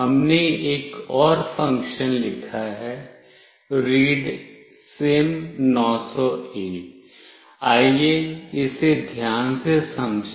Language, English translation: Hindi, There is one more function that we have written, readSIM900A(), let us understand this carefully